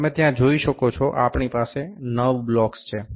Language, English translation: Gujarati, You can see there, we have nine blocks